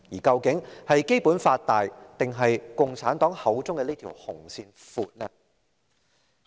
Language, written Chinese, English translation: Cantonese, 究竟是《基本法》大，還是共產黨口中的這條"紅線"闊呢？, Which is bigger and wider the Basic Law or the red line claimed by the Communist Party of China?